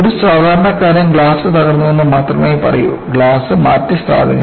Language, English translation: Malayalam, A common man will only say the glass is broken, replace the glass